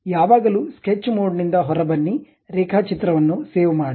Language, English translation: Kannada, Always come out of sketch mode, save the drawing